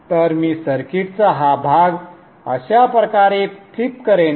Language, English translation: Marathi, So what I will do I will flip this portion of the circuit like this